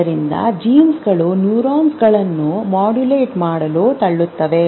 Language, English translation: Kannada, Genes are pushing, neurons are helping them to modulate and keeping you survive